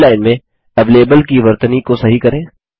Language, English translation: Hindi, Correct the spelling of avalable in the first line